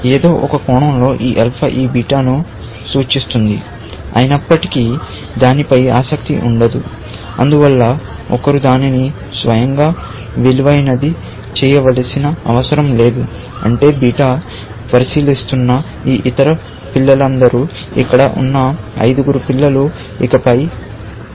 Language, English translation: Telugu, Though this alpha, in some sense, will tell this beta that we do not, I would not be interested in you any more; that you do not need to value it yourself any further; which means all these other children that beta was considering, like this five children we had here; there also, we would have five children